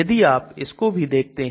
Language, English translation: Hindi, So if you look at that also